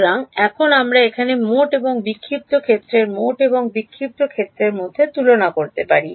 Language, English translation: Bengali, So, now here we can get into the comparison between the total and the scattered field total and scattered field